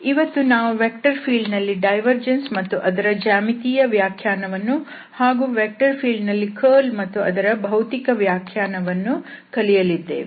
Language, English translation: Kannada, So, today we will cover the divergence of the vector field and it's geometrical interpretation, also the curl of a vector field and again its physical interpretation